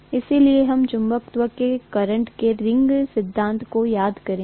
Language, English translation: Hindi, So we will just recall the current ring theory of magnetism